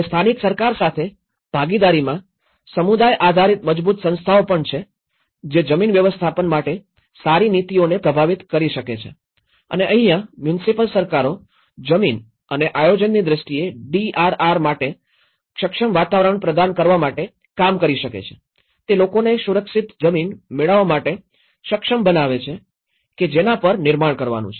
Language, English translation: Gujarati, And there is also strong community based organizations in partnership with local government which can influence the better policies for land management and upgrading and this is where the municipal governments can do to provide an enabling environment for DRR in terms of land and planning, is to enable people to have access to safe land on which to build